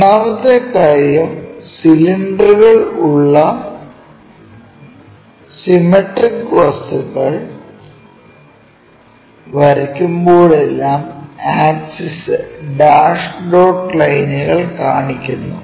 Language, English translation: Malayalam, Second thing whenever we are drawing the cylinders symmetric kind of objects, we always show by axis dash dot lines